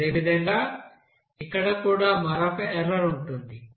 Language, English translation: Telugu, Similarly, here also there will be another error